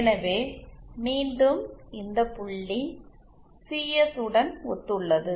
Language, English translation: Tamil, So again this point corresponds to Cs